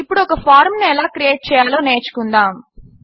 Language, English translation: Telugu, Now, let us learn how to create a form